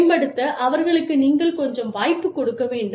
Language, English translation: Tamil, You need to give them, some chance to improve